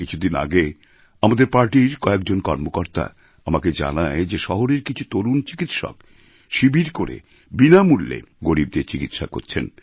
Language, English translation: Bengali, Recently, I was told by some of our party workers that a few young doctors in the town set up camps offering free treatment for the underprivileged